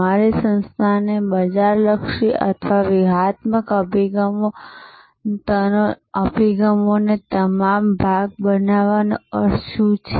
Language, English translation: Gujarati, What does it mean to make your organization market oriented or all part of the strategic orientation